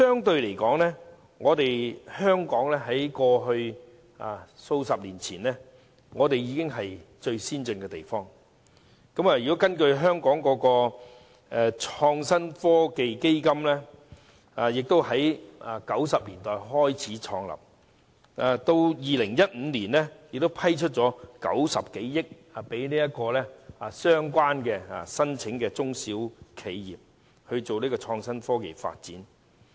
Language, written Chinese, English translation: Cantonese, 不過，香港在數十年前已屬最先進地區，而香港的創新及科技基金於1990年代創立，至2015年已批出共90多億元，供申請的中小企業進行創新科技發展。, Yet Hong Kong was indeed regarded as the most advanced region a few decades ago . Since the establishment of the Innovation and Technology Fund in 1990 9 - odd billion has been granted by 2015 to small and medium enterprises SMEs applicants to pursue innovation and technology development